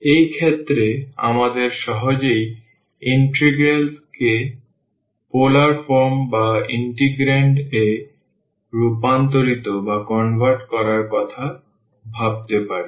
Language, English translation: Bengali, In those cases, we can easily think of converting the integral to polar form or the integrand itself